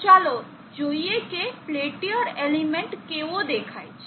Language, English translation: Gujarati, Let us now see how our real peltier element looks like